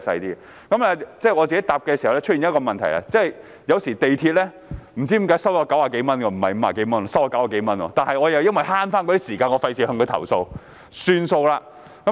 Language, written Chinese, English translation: Cantonese, 另外，我在使用時也發現一個問題，也就是有時港鐵公司會收取我90多元而非50多元，但由於我要節省時間，所以沒有作出投訴。, I have also found a problem when using it . MTRCL would sometimes charge me more than 90 instead of 50 . However I wanted to save time and did not lodge a complaint